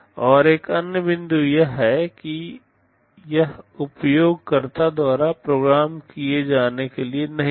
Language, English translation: Hindi, And another point is that, this is not meant to be programmed by the user